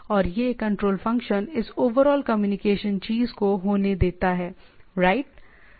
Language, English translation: Hindi, And this control functions allows this overall communication thing to happen right